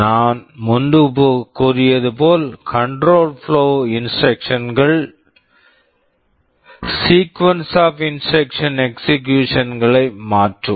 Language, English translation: Tamil, As I had said earlier, control flow instructions are those that change the sequence of instruction execution